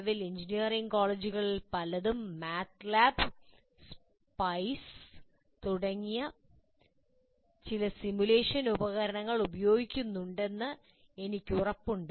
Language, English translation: Malayalam, I'm sure that already presently many of the engineering colleges do use some simulation tools already, like MATLAB or SPICE and so on